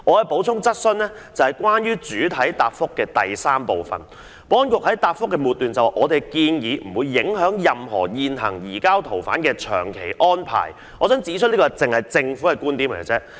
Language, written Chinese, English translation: Cantonese, 保安局在主體答覆第三部分的末段提到"我們的建議不會影響任何現行移交逃犯的長期安排"，但我想指出，這只是政府單方面的觀點。, The Security Bureau stated in the last paragraph of part 3 of the main reply that [o]ur proposals will not affect any long - term surrender of fugitive offenders agreements in force; yet I must say that this is only a one - sided view from the Government